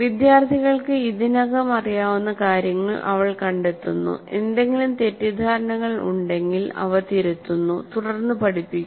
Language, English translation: Malayalam, She finds out what students already know, corrects any misconceptions, and then builds onto this